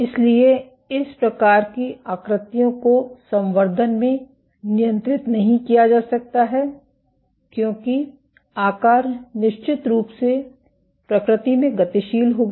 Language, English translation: Hindi, So, these kinds of shapes cannot be controlled in culture instead the shape is of course, will dynamic in nature